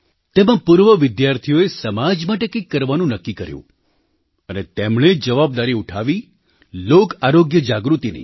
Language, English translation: Gujarati, Under this, the former students resolved to do something for society and decided to shoulder responsibility in the area of Public Health Awareness